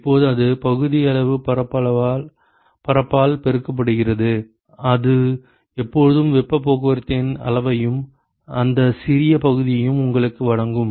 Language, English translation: Tamil, Now, that is multiplied by the fractional surface area it will always give you what is the extent of heat transport and that small section